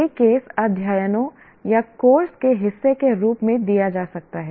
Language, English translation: Hindi, This can be given through as case studies are part of a course or whatever have you